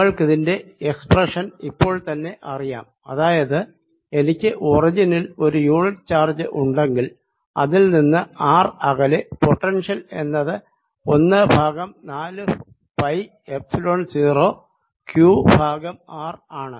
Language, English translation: Malayalam, you already know the expression that if i have a unit charge at the origin, then at a distance r from it, potential is given as one over four pi, epsilon zero, q over r